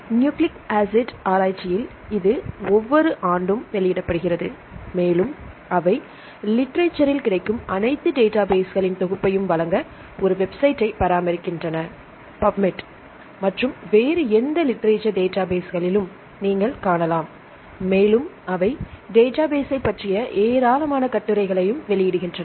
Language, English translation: Tamil, In Nucleic Acid Research this is published every year and also they maintain a website to give the collection of all the databases available in the literature